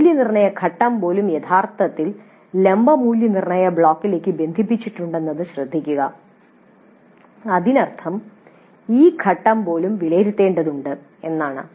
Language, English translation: Malayalam, Note that even the evaluate phase itself actually is connected to the vertical evaluate block which essentially means that even this phase needs to be evaluated